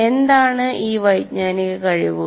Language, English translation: Malayalam, What are these cognitive skills